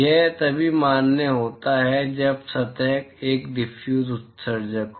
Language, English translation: Hindi, This is valid only when the surface is a diffuse emitter